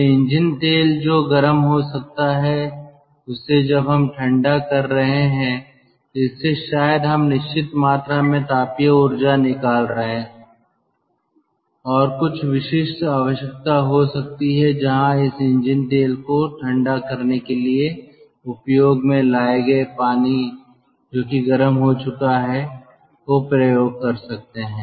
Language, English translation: Hindi, so engine oil that will get heated up and then when we are cooling it probably we can extract certain amount of thermal energy and there could be some specific need where the water which will be heated up for ah due to cooling this engine oil can be utilized